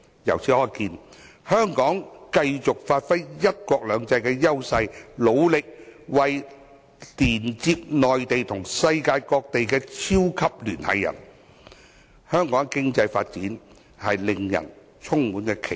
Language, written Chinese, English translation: Cantonese, 由此可見，香港只要繼續發揮"一國兩制"的優勢，努力作為連接內地與世界各地的"超級聯繫人"，香港的經濟發展令人充滿期待。, It is evident that as long as Hong Kong continues to give play to the advantages of one country two systems and strives to serve as a super - connector between the Mainland and various parts of the world our economic development will be booming